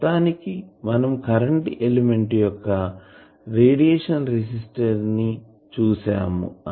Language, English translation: Telugu, And ultimately we could see that a current element what is its radiation resistance